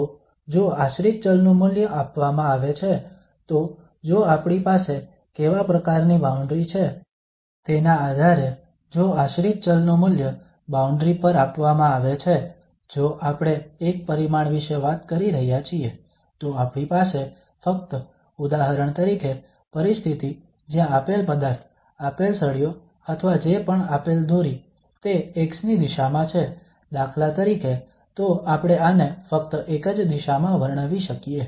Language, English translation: Gujarati, So if the value of the dependent variable is given, so the value of the dependent variable is given on the boundary, so depending on what kind of boundary we have, so if we are talking about one dimensions then we have only for instance a situation where the given material, the given bar or given whatever string this is in the direction of x for instance, so just in one direction we can describe this